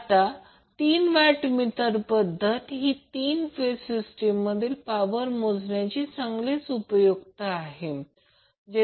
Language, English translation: Marathi, So the two watt meter method is most commonly used method for three phase power measurement